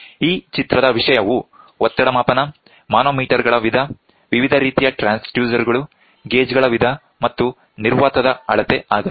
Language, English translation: Kannada, The content of this picture is going to be pressure measurement, type of manometers, different types of transducers, type of gauges and measurement of vacuum